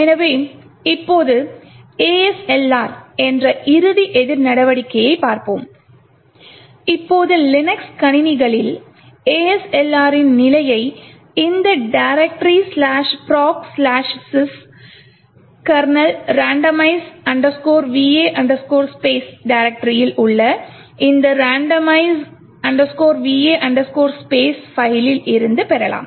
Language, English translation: Tamil, So now let us look at the final countermeasure which is ASLR, now the status of ASLR on Linux systems can be obtained from this particular file randomize underscore VA underscore space which is present in this directory slash proc slash sys kernel randomize underscore VA space